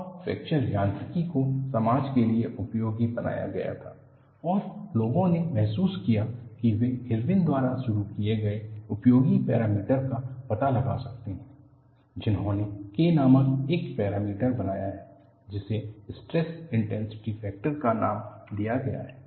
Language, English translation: Hindi, And fracture mechanics was made useful to society, and people realized that people could find out the useful parameter that was initiated by Irwin, who coined a parameter called K, which is labeled as stress intensity factor